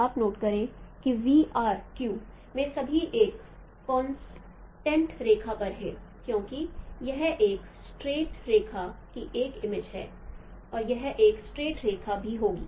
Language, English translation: Hindi, You note, VRQ, they all lie on a straight line because it is an image of a line, a page of a straight line on and that would be also a straight line